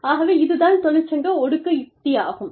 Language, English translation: Tamil, So, this is called the, union suppression strategy